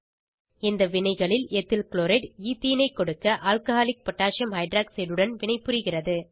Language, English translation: Tamil, In the reactions Ethyl chloride reacts with Alcoholic potassium Hyroxide to give Ethene